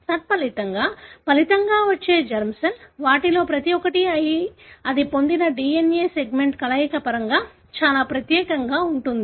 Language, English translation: Telugu, As a result, the resulting germ cell, each one of them would be very, very unique in terms of the combination of the DNA segment it has got